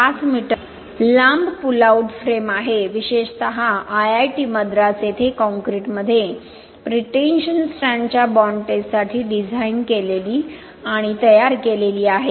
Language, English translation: Marathi, 5 m long pull out frame, especially designed and fabricated for bond testing of pretension strand in concrete at IIT Madras